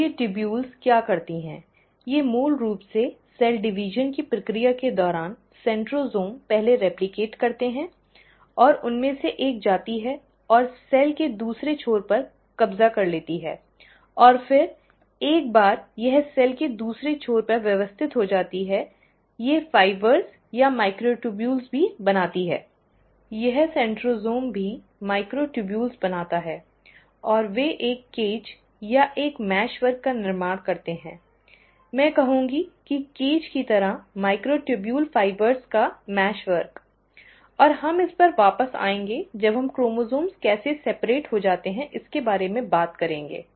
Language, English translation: Hindi, So what these tubules do is that they basically, during the process of cell division, the centrosome first replicates, and one of them goes and occupies the other end of the cell, and then, once it has organized to the other end of the cell, they also form fibres, or microtubules, this centrosome also forms microtubules and they form a cage or a mesh work, I would say a cage like mesh work of micro tubule fibres, and we will come back to this when we are talking about how the chromosomes get separated